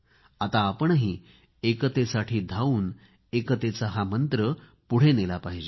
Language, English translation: Marathi, We also have to run for unity in order to promote the mantra of unity